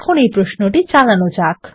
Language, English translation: Bengali, Now let us run the query